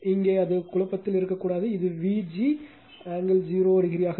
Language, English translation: Tamil, If you and it should not be in confusion in here right this will be V g angle 0 degree that we have take in the magnitude